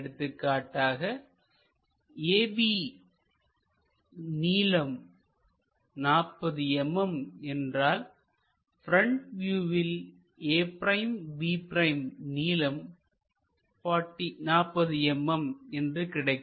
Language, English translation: Tamil, So, if A B is 40 mm, then in this front view a’ b’ also 40 mm we will get